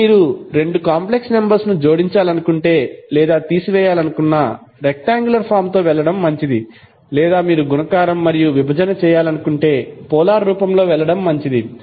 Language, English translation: Telugu, Now if you want to add or subtract the two complex number it is better to go with rectangular form or if you want to do multiplication or division it is better to go in the polar form